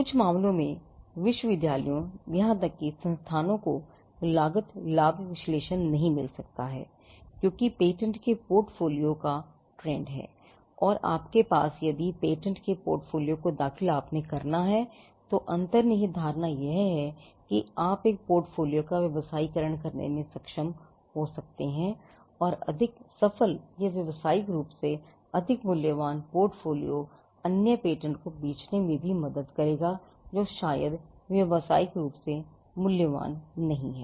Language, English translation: Hindi, Now, in some cases universities and even institutions may not get into a cost benefit analysis because the trend is to have portfolio of patents and if you have filing portfolio of patents the underlying impression is that you may be able to commercialize the portfolio together and the more successful ones or the what we call the more commercially valuable ones will also help to sell the other patents which may not be very as commercially valuable